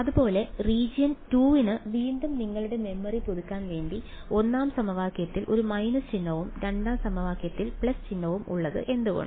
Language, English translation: Malayalam, Similarly for region 2 again just to refresh your memory; why is there a minus sign in the 1st equation and a plus sign in the 2nd equation